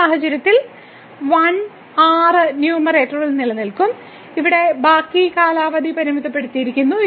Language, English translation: Malayalam, So, in this case the 1 will survive in the numerator and the rest term here is bounded